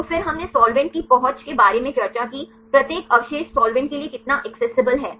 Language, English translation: Hindi, So, then we discussed about solvent accessibility, how far each residue is accessible to solvent